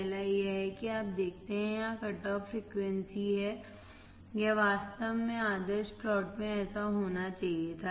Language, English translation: Hindi, First is that you see there is cut off frequency here, it should have actually been like this in the ideal plot